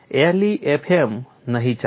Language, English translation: Gujarati, LEFM will not do